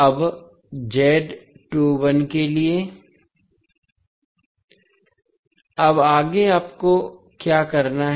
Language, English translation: Hindi, Now, next what you have to do